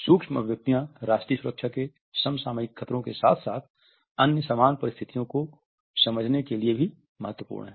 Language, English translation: Hindi, They are also significant for understanding contemporary threats to national security as well as in similar other situation